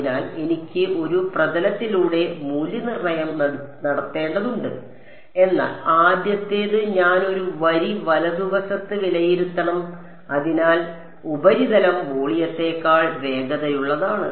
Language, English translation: Malayalam, So, I have to evaluate over a surface whereas, the first one I have to evaluate over a line right; So that is the reason the surface is faster than the volume